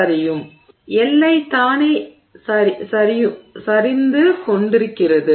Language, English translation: Tamil, So, the boundary itself is sliding